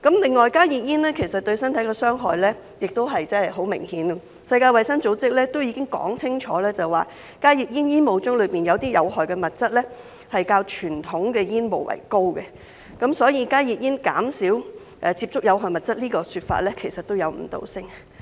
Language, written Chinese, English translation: Cantonese, 另外，加熱煙對身體的傷害亦十分明顯，世界衞生組織已經說清楚，加熱煙煙霧中有些有害物質較傳統的煙霧為高，所以加熱煙減少接觸有害物質這說法其實也有誤導性。, In fact they have banned HTPs . Furthermore the harmful effects of HTPs on the body are very obvious as well . The World Health Organization has made it clear that some harmful substances in HTP aerosol are in higher levels than in conventional cigarette smoke